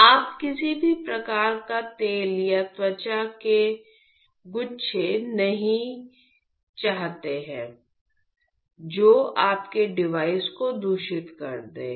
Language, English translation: Hindi, So, you do not want any sort of oil or skin flakes which would just contaminate your device